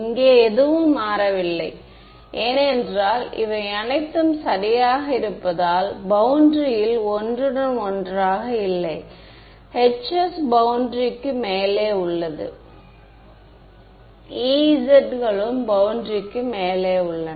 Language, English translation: Tamil, Nothing changed here because it is all clean there is no overlap with the boundary right the Hs are above the boundary the Es are E ys are above the boundary